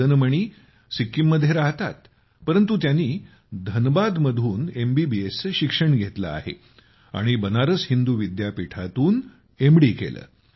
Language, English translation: Marathi, Madan Mani hails from Sikkim itself, but did his MBBS from Dhanbad and then did his MD from Banaras Hindu University